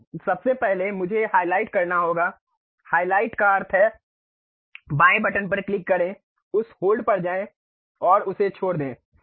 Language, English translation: Hindi, So, first of all I have to highlight; highlight means click the left button, go over that hold and leave it